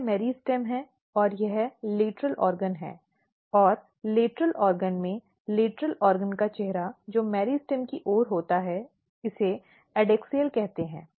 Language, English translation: Hindi, So, this is meristem and the this is the lateral organ and in lateral organ the face of the lateral organ which is towards the meristem, this is called adaxial